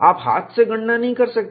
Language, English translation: Hindi, You cannot do hand calculations